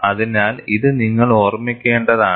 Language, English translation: Malayalam, So, this you have to keep in mind